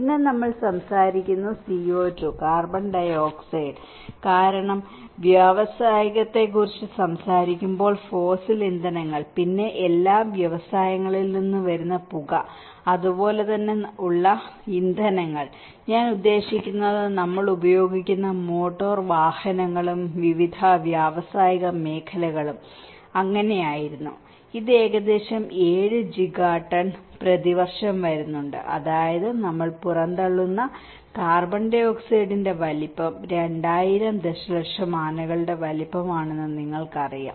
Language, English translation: Malayalam, And then the CO2, the carbon dioxide which we talk about because the fossil fuels when we talk about industrial, then smoke which is coming from all the industries and as well as the fuels which we are; I mean the motor vehicles which we are using and various industrial sectors which were so, it is almost coming about 7 Giga tons per year which is about you know 2000 million elephants size of the carbon dioxide which we are emitting